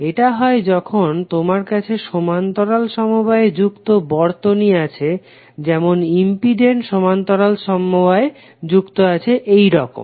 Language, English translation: Bengali, This happens specifically when you have parallel connected circuits like if you have impedance connected in parallel like this